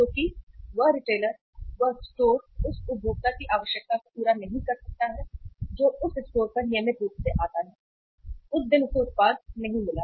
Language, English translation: Hindi, Because that retailer, that store could not fulfill the requirement of the consumer who is regularly visiting that store, that day he did not find the product